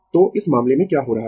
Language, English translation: Hindi, So, in this case what is happening